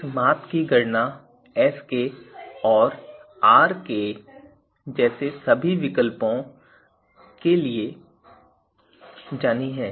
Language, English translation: Hindi, So, now the same representation is being used here also for Sk and Rk also